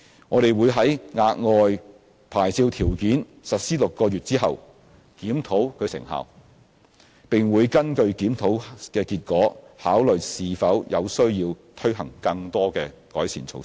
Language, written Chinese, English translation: Cantonese, 我們會在額外牌照條件實施6個月後檢討其成效，並會根據檢討結果，考慮是否有需要推行更多改善措施。, We will review the effectiveness of the additional licensing conditions six months after their implementation and consider the need to roll out more improvement measures according to the results of the review